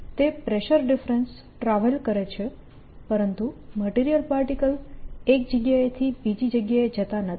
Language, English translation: Gujarati, that pressure difference travels, but the material particle does not go from one place to the other